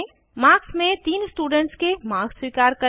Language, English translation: Hindi, *In marks, accept marks of three subjects